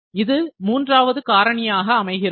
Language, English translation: Tamil, So, this is the third factor